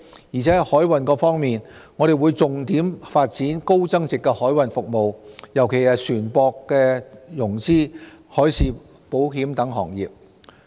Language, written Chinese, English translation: Cantonese, 而在海運方面，我們會重點發展高增值海運服務，尤其是船舶融資、海事保險等行業。, As regards the maritime sector we will focus on the development of high value - added maritime services especially ship finance marine insurance etc